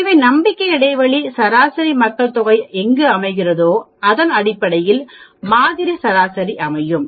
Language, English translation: Tamil, So, the confidence interval gives you the estimate of where the population mean will lie, based on the sample mean